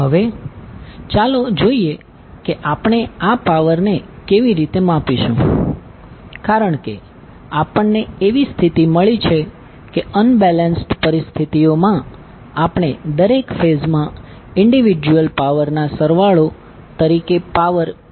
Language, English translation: Gujarati, Now let us see how we will measure this power because we have found the condition that under unbalanced condition we will get the value of power P as a sum of individual powers in each phase